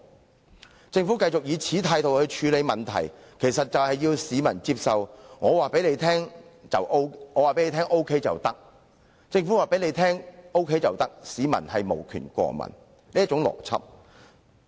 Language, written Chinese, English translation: Cantonese, 若政府繼續以同一態度處理問題，要市民接受"政府告訴你 OK 便 OK" 的話，市民對於任何事情均無權過問。, If the Government continues to adopt this attitude to deal with the problems and expects the people to accept if the Government tells you it is OK then it is OK people will have no say in anything